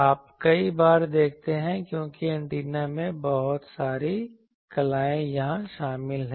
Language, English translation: Hindi, You see many times because antenna actually this thing is a lot of I will say arts is involved here